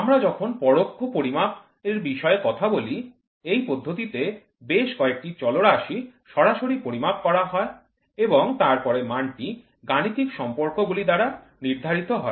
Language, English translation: Bengali, So, in indirect measurements, several parameters are measured directly and then a value is determined by mathematical relationship